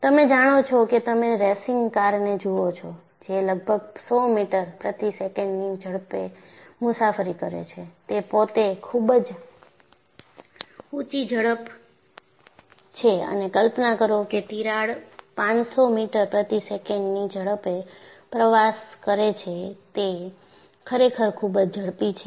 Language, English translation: Gujarati, You know, if you look at a racing car, that travels around 100 meters per second, that itself with very high speed and imagine, a crack travels at 500 meters per second, it is really very fast